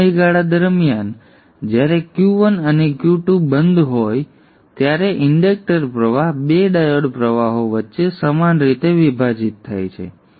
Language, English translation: Gujarati, During the period when Q1 and Q2 are off, inductor current will equally divide between the two diode currents